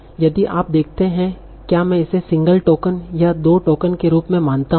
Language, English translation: Hindi, Similarly if you see what are do I treat it as a single token or two tokens what are